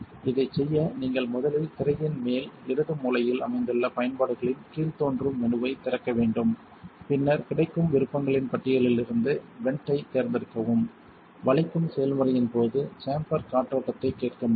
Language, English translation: Tamil, To do this you must first open the utilities drop down menu located at the top left hand corner of the screen and then select the vent from the list of available options, should be able to hear the chamber venting during the bending process